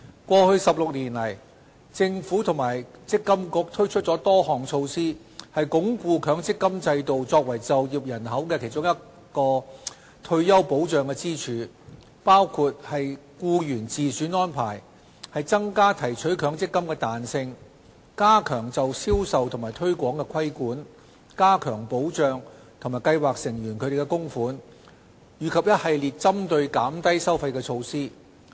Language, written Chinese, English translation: Cantonese, 過去16年，政府和積金局推出了多項措施，以鞏固強積金制度作為就業人口的其中一根退休保障支柱，包括"僱員自選安排"、增加提取強積金的彈性、加強就銷售與推廣的規管、加強保障計劃成員的供款，以及一系列針對減低收費的措施。, In the past 16 years the Government and the MPFA have introduced various measures to consolidate the role of the MPF System as one of the pillars for retirement protection for the working population including the Employee Choice Arrangement ECA increasing the flexibility in the withdrawal of MPF benefits tightening the regulations concerning sales and marketing strengthening the protection for the contributions of scheme members and a series of measures aimed at reducing the level of fees